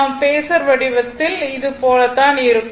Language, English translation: Tamil, So, in the Phasor form if, you make it , it will be something like this